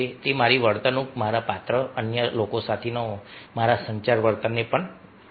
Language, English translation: Gujarati, it will mould my behavior, my character, the way i talk with others, my communication behavior as well